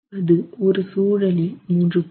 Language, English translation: Tamil, It could be 3